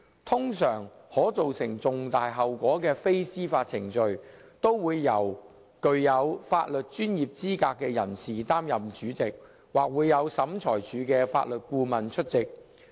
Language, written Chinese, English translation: Cantonese, 通常，可造成重大後果的非司法程序，都會由具有法律專業資格的人士擔任主席，或會有審裁處的法律顧問出席。, Non - judicial proceedings where there could be serious consequences were usually chaired by legally qualified persons or attended by legal advisers to the tribunals